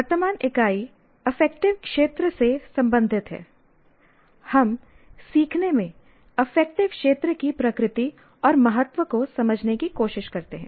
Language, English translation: Hindi, Present unit, namely related to affective domain, we try to understand the nature and importance of affective domain in learning